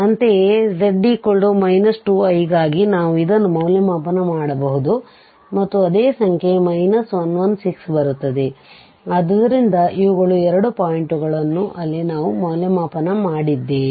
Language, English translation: Kannada, Similarly, for minus 2 i also we can evaluate this and the same number minus 1 over 16 will come, so these are the two points, there we have evaluated